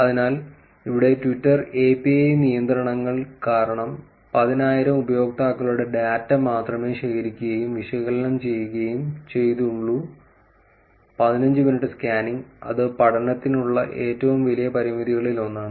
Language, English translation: Malayalam, So, here due to the Twitter API restrictions only ten thousand users' data was actually collected and analyzed for the fifteen minutes scan, that is one of the biggest limitations for the study